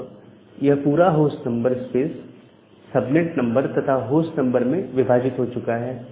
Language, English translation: Hindi, So, this entire host number space is now divided into subnet number and the host number